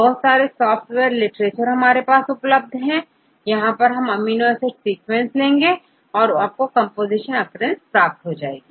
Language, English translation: Hindi, There are several software available in the literature, just you give the amino acid sequence right then you can get the composition occurrence